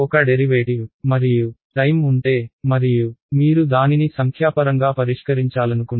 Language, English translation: Telugu, If there is a derivative and time and you want to solve it numerically you would